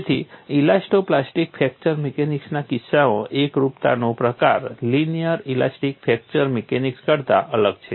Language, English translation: Gujarati, So, the kind of singularity in the case of elasto plastic fracture mechanics is different from linear elastic fracture mechanics